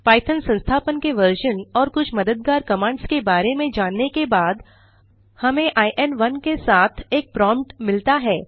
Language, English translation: Hindi, After getting some information about the version of Python installed and some help commands, we get a prompt with In[1]: